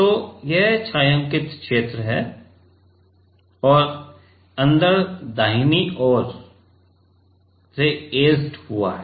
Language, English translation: Hindi, So, this is the shaded region and inside is etched right